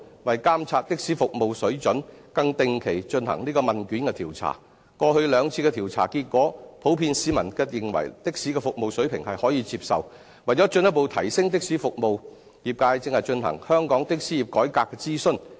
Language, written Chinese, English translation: Cantonese, 為監察的士服務水準，更定期進行問卷調查，過去兩次的調查結果，市民普遍認為的士服務水平可接受；為進一步提升的士服務，業界正進行香港的士業改革諮詢。, With a view to monitoring the service standard of taxis regular questionnaire surveys were conducted . According to the results of the last two surveys the service standard of taxis was generally deemed acceptable to the public . In order to further enhance taxi services the trade is currently conducting a consultation on the reformation of the taxi trade